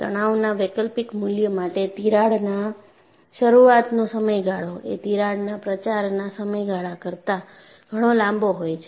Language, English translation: Gujarati, For a given alternating value of stress, the crack initiation period is much longer than the crack propagation period